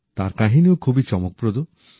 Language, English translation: Bengali, His story is also very interesting